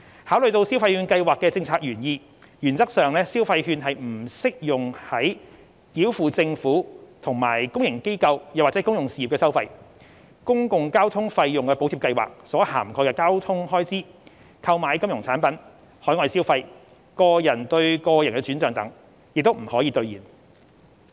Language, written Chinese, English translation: Cantonese, 考慮到消費券計劃的政策原意，原則上消費券將不適用於繳付政府及公營機構/公用事業的收費、公共交通費用補貼計劃所涵蓋的交通開支、購買金融產品、海外消費、個人對個人轉帳等，也不可兌現。, Taking into consideration the policy intent of the Scheme the consumption vouchers will in principle not be usable for payments to the Government and public organizations or public utilities spending on public transport covered by the Public Transport Fare Subsidy Scheme purchases of financial products overseas consumption person - to - person payments encashment and so on